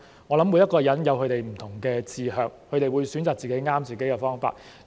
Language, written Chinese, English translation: Cantonese, 我想每個人也有其不同的志向，會選擇適合自己的方法。, I think everyone has different aspirations and will choose a path that suits them